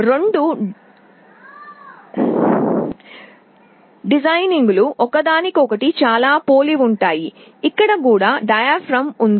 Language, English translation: Telugu, The design is very similar; here also there is a diaphragm